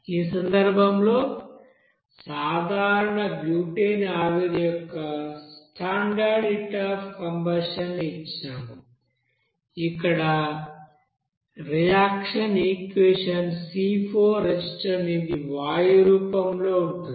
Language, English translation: Telugu, In this case we have given that a standard heat of combustion of normal butane vapor as per this you know reaction equation here C4H10 that is in gaseous form